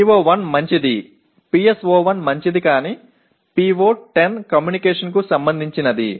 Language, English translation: Telugu, PO1 is fine PSO1 is fine but PO10 is related to communication